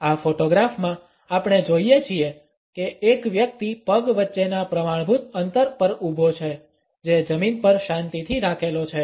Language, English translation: Gujarati, In this photograph we find that a person is standing over the standard gap between the legs which are firmly planted on the floor